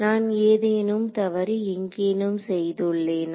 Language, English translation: Tamil, Have I made a mistake somewhere